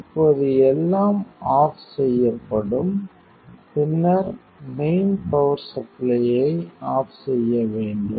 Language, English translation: Tamil, Now everything switches off, then switch off the mains supply